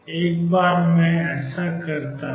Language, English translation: Hindi, Once I do that